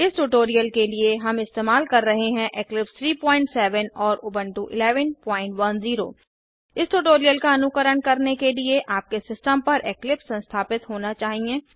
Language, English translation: Hindi, For this tutorial we are using Eclipse 3.7.0 and Ubuntu 11.10 To follow this tutorial you must have Eclipse installed on your system